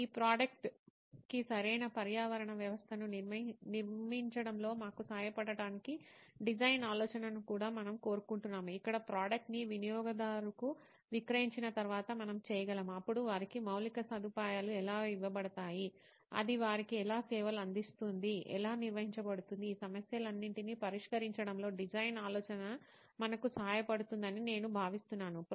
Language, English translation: Telugu, We would also like design thinking to help us in building a proper ecosystem for this product, where we can actually after the product is sold to a user, then how the infrastructure is given to them, how it is serving them, how it is maintained for them I think design thinking can help us in solving all these issues as well